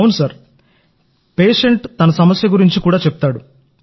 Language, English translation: Telugu, Yes, the patient also tells us about his difficulties